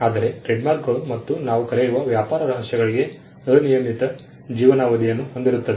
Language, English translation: Kannada, Whereas, trademarks and what we call trade secrets are unlimited life